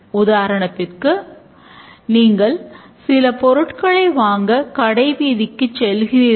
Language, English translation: Tamil, For example, you went to the market, wanted to buy some things